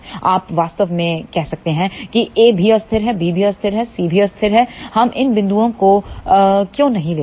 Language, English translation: Hindi, You can actually say that ok well, a is also unstable, b is also unstable, c is also unstable, why we do not take these points